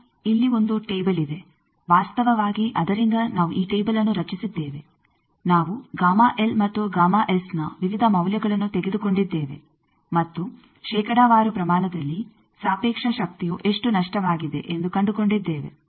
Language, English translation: Kannada, Now, here is a table from that actually we have generated this table that we have taken various values of gamma L and gamma S and found out that how much is the relative power lost in percentage